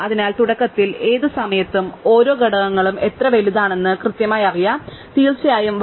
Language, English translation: Malayalam, So, we know exactly how big each component is at any given time initially, of course the size is 1